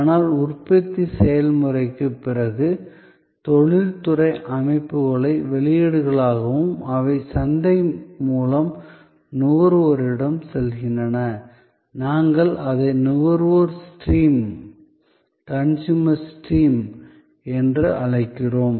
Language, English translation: Tamil, But, post manufacturing process, post industrial systems as outputs, they go to the consumer through the market and we call it as the business to consumer stream